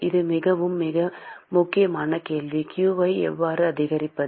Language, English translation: Tamil, It is a very, very important question: how to increase q